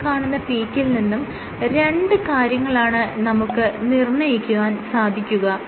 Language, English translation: Malayalam, There are two things that you can determine from this peak